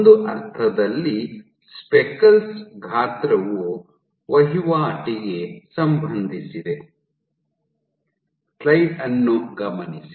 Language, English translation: Kannada, So, in a sense speckles size is correlated to turnover